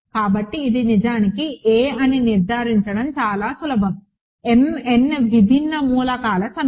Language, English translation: Telugu, So, it is fairly easy to conclude that this is actually a set of m n distinct elements